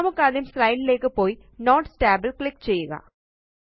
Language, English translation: Malayalam, Lets go to the first slide and click on the Notes tab